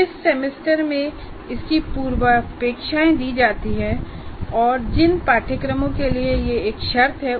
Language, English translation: Hindi, The semester it is offered, its prerequisites, and the courses to which it is a prerequisite